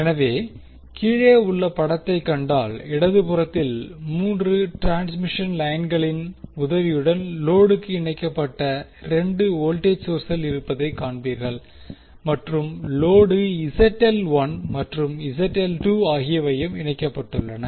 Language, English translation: Tamil, So, if you see the figure below, you will see on the left there are 2 voltage sources connected to the load with the help of 3 transmission lines and load Zl1 and Zl2 are connected